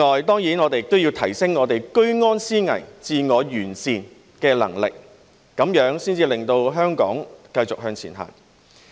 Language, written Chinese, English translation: Cantonese, 當然，我們也要提升居安思危、自我完善的能力，這樣才可以令香港繼續向前行。, Of course we must also enhance our vigilance in times of peace and self - improvement . Only then can Hong Kong continue to move forward